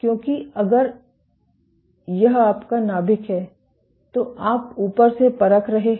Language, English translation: Hindi, Why because, if this is your nucleus you are probing from the top